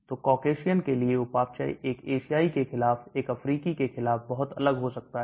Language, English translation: Hindi, So metabolism for a Caucasian could be very different for it as against an Asian or against an African